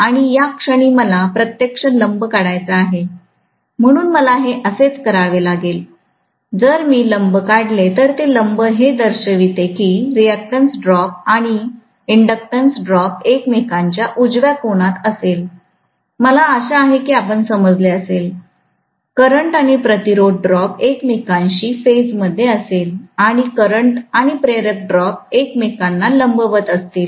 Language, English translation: Marathi, And to this I have to actually draw a perpendicular, so I have to take it like this, if I draw a perpendicular, that perpendicular is indicating that the resistance drop and inductance drop will be at right angle to each other, I hope you understand, the current and the resistance drop will be in phase with each other, and the current and the inductive drop will be perpendicular to each other